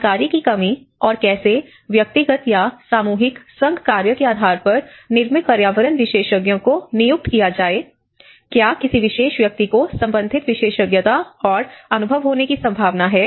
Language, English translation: Hindi, Also, a lack of information and how to employ built environment practitioners on individual or teamwork basis, whether a particular individual is likely to have the relevant expertise and experience